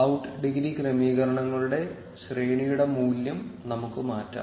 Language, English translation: Malayalam, Let us change the value of the range of the out degree settings